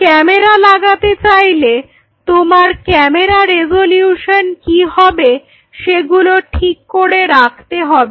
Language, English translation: Bengali, However, going to fit the camera want will be the camera resolution what